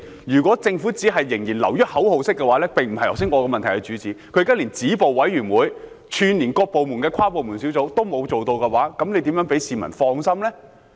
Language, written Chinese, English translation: Cantonese, 如果政府會做的只是仍然流於口號式，那並非我在質詢中主要想問的，政府現時連止暴委員會，以及串連各部門的跨部門小組都沒有做到，如何能令市民放心呢？, If the Government will only keep doing things that amount to nothing but empty slogans it has not addressed the thrust of my question . While the Government has not even set up a committee to stop violence and an interdepartmental task force that links up various departments how can members of the public rest assured?